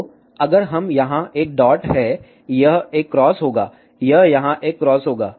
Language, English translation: Hindi, So, again if we have a dot here, it will have a cross, it will have a cross here